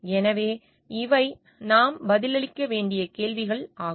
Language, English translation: Tamil, So, these are questions that we need to answer